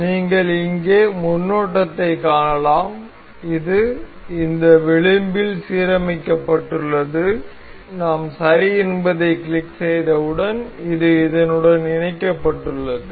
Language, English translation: Tamil, So, you can see the preview here this is aligned with this edge and once we click ok, this is mated with this